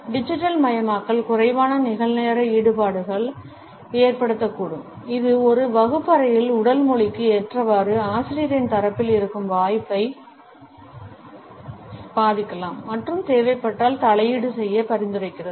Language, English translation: Tamil, Digitization may result in lesser real time engagements, which may affect the opportunity on the part of a teacher to adapt to the body language in a classroom and suggest intervention if it is required